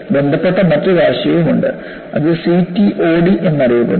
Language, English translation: Malayalam, And there is also another related concept, which is known as CTOD